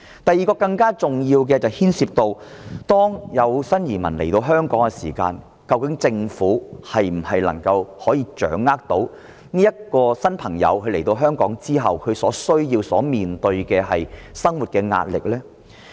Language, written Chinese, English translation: Cantonese, 第二個層次的問題更加重要，是關乎新移民來到香港的時候，究竟政府能否掌握這些新朋友的需要和所面對的生活壓力。, The question of the second level is more important . When new immigrants come to Hong Kong can the Government grasp the information of these new arrivals concerning their needs and the living pressure faced by them?